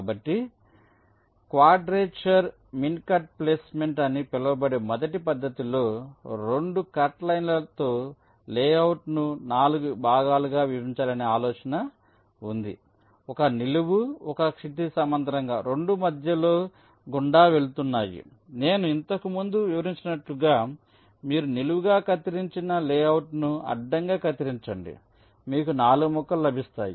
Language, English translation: Telugu, so in the first method, which is called quadrature mincut placement, the idea is to divide the layout into four parts, with two cutlines, one vertical, one horizontal, both passing through the center, just like i have illustrated earlier